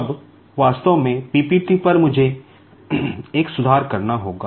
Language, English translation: Hindi, Now, here actually on the PPT, I will have to make one correction